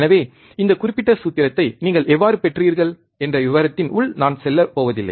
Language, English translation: Tamil, So, I am not going into detail how you have derived this particular formula